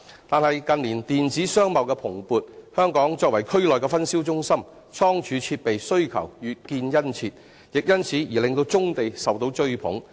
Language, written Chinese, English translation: Cantonese, 但是，近年電子商貿的蓬勃，香港作為區內分銷中心，倉儲設備需求越見殷切，亦因此而令棕地受到追捧。, But in recent years attributive to the booming electronic commercial activities Hong Kong has become a distribution centre in the region . As the demand for storage facilities is getting large brownfield sites have become a target for such a purpose